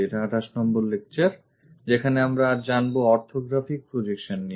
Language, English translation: Bengali, We are in module number 3, lecture 28 on Orthographic Projections